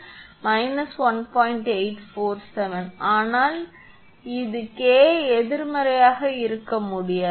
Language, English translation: Tamil, 847, but this is K cannot be negative